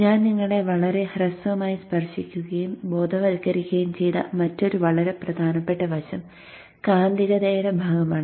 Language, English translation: Malayalam, Another in a very very important aspect that I have very briefly touched and sensitized you but not gone into very great depth is the part of magnetics